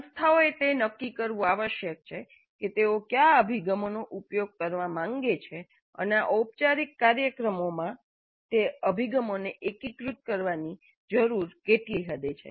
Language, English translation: Gujarati, Institutes must decide on which approaches they wish to use and what is the extent to which these approaches need to be integrated into their formal programs